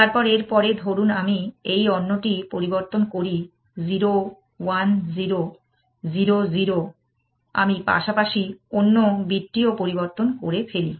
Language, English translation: Bengali, change this other one, 0 1 0, 0 0, I change the other bit as well